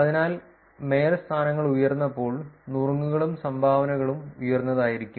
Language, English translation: Malayalam, So, therefore, when mayorships are high there is going to be tips and dones also which are high